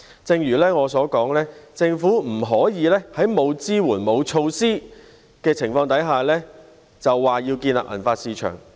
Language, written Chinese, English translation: Cantonese, 正如我所說，政府不能在沒有支援和措施的情況下，便說要建立銀髮市場。, As I have said the Government cannot establish a silver hair market without any support and measures